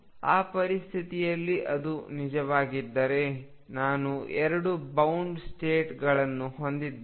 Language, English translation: Kannada, If that is the case in that situation I will have two bound states